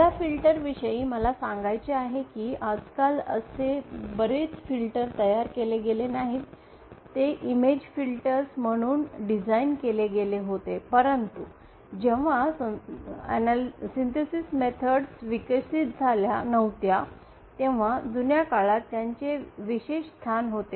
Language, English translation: Marathi, Now first thing that I want to state about these filters is that now a day’s not many of the filters that are designed, are designed as image filters, but they had a special place in the olden days when synthesis methods were not that developed